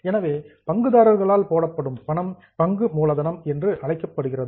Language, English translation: Tamil, So, money which is put in by the shareholders is known as share capital